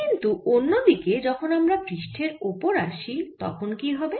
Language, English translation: Bengali, on the other hand, let us see what happens when i come to the surface